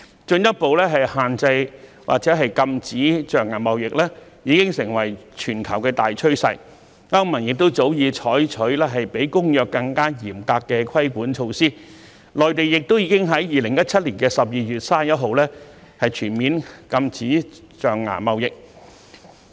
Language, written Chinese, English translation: Cantonese, 進一步限制或禁止象牙貿易已成為全球大趨勢，歐盟早已採取比《公約》更嚴格的規管措施，內地亦已於2017年12月31日全面禁止象牙貿易。, Further restriction or ban of ivory trade has become a global trend . The European Union has long adopted regulatory measures that are tougher than those called for under CITES while the Mainland has banned all ivory trade beginning 31 December 2017